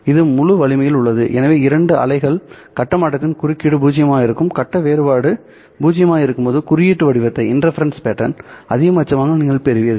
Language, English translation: Tamil, So because the phase shift of the two waves which are interfering happen to be zero, when the phase difference happens to be zero, then you get the maxima in the interference pattern